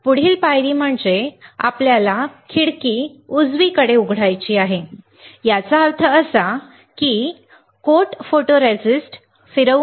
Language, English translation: Marathi, Next step is we had to open a window right; that means that we will spin coat photoresist